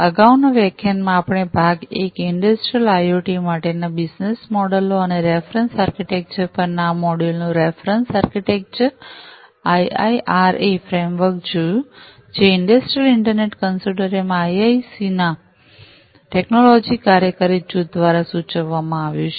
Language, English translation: Gujarati, In the previous lecture, part one of the reference architecture of this module on business models and reference architecture for Industrial IoT we have seen the IIRA framework, that has been proposed by the technology working group of the Industrial Internet Consortium, IIC